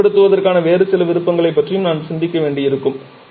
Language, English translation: Tamil, And therefore we may have to think about some other option of utilizing the energy